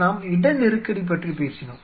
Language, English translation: Tamil, We talked about the space constraint